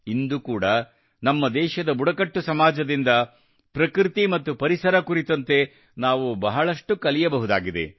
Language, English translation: Kannada, Even today, we can learn a lot about nature and environment from the tribal societies of the country